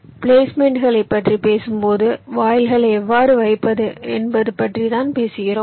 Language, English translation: Tamil, when you talk about placements, you are talking about the same thing: how to place the gates